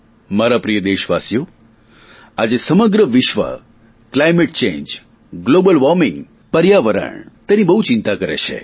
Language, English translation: Gujarati, My dear countrymen, today, the whole world is concerned deeply about climate change, global warming and the environment